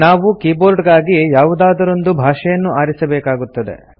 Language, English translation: Kannada, We need to select a language for the keyboard